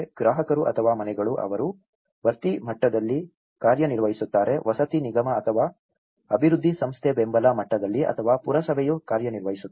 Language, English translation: Kannada, The consumer or households they act on infill level, the housing corporation or a development agency on a support level or the municipality works on a tissue level